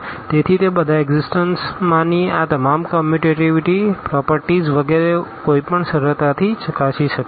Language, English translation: Gujarati, So, all those existence all this commutativity property etcetera one can easily verify